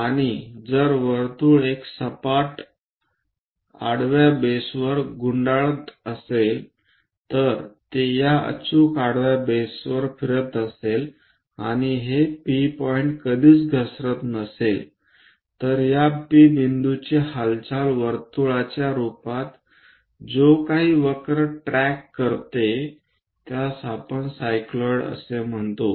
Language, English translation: Marathi, And if the circle is rolling on a flat horizontal base, if it is rolling on these perfectly horizontal base and this P point never slips, then the motion of this P point as circle rolls whatever the curve tracked by that we call it as cycloid